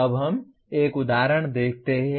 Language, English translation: Hindi, Now let us look at an example